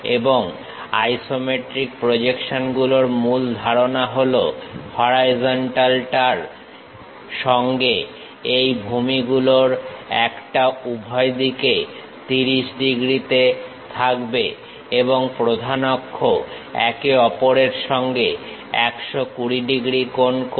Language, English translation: Bengali, And the main concept of isometric projections is, with the horizontal one of these base will be at 30 degrees on both sides and the principal axis makes 120 degrees angle with each other